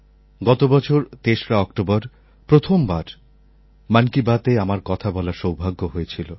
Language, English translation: Bengali, Last year on 3rd October I had an opportunity to conduct my first ever "Mann Ki Baat"